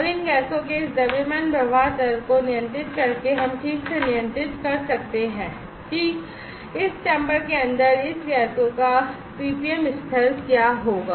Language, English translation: Hindi, And by controlling this mass flow rate of these gases we can precisely control that, what will be the PPM level of this gases inside this chamber